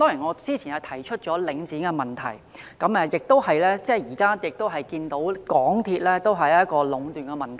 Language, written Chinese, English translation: Cantonese, 我早前提出領展的問題，而現在則看到港鐵同樣出現壟斷問題。, Earlier I talked about Link REIT and now I have spotted the same problem of monopoly in the case of the MTR Corporation Limited MTRCL